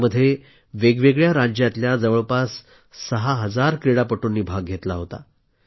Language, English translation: Marathi, These games had around 6 thousand players from different states participating